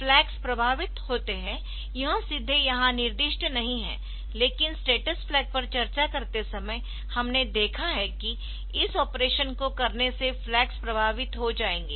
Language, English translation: Hindi, The flags are affected it is not specified here directly, but while discussing the status flag, so we have seen that the flags will get affected by doing this operation